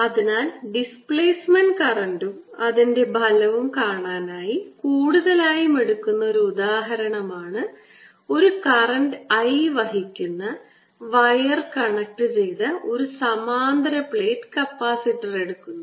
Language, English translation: Malayalam, so the often done example of this to show displacement current and its effect is taking a parallel plate capacitor connected to a wire that is bringing in current i as its going out